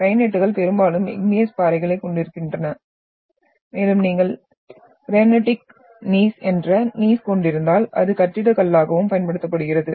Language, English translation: Tamil, The granites mostly the igneous rocks are having so and if you are having Gneiss which is granitic Gneiss, it is also used as building stone